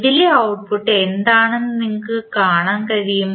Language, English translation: Malayalam, You can see what is the output at this note